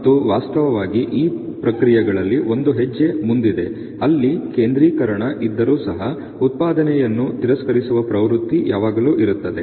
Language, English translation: Kannada, And in fact this processes even one step ahead where even if there is let say a centering there is always tendency of rejects to be produce